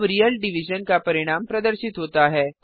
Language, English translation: Hindi, Now the result of real division is displayed